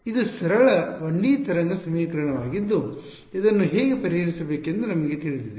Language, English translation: Kannada, This is simple 1D wave equation we know all know how to solve it right you